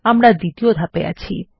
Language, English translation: Bengali, We are in Step 2